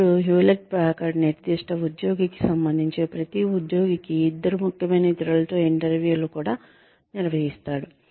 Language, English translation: Telugu, Then, Hewlett Packard also conducts interviews, with two significant others, for every employee, regarding the specific employee